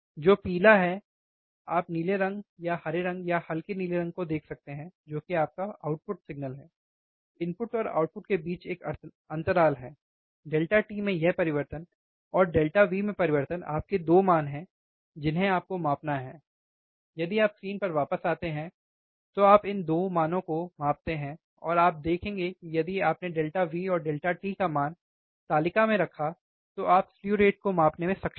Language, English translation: Hindi, Which is yellow, you can see blue colour or greenish colour or light blue that is your output signal is a lag between input and output, this change in delta t, and change in delta V is your 2 values that you have to measure, when you measure these 2 values, if you come back to the screen, and you will see that if you put this value substitute this value onto the table delta V and delta t you are able to measure the slew rate